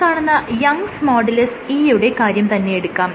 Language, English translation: Malayalam, Now, if you consider this Young’s modulus E right